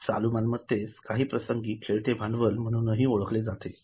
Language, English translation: Marathi, Those current assets are also sometimes known as working capital